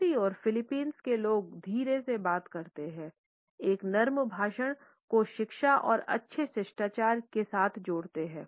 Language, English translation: Hindi, On the other hand people from Philippines speak softly, associate a soft speech with education and good manners